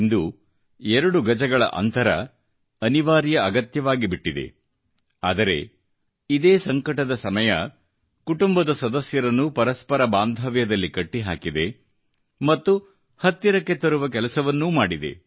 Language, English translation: Kannada, Today, when the two yard social distancing has become imperative, this very crises period has also served in fostering bonding among family members, bringing them even closer